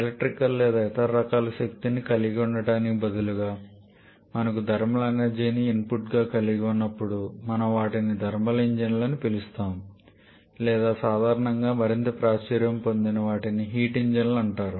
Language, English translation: Telugu, And they are similarly instead of having electrical or some other form of energy whenever we are having thermal energy as the input then we call them thermal engine or more commonly more popularly they are called heat engines